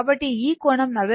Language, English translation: Telugu, So, this angel is 40